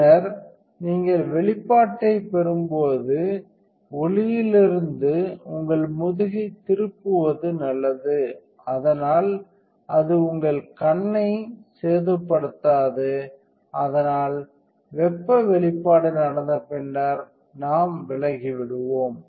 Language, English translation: Tamil, And then when it is in contact you exposure and then when you get exposure is good to turn you back away from the light, so it does not damage your eye, so heat exposure and then we just turn away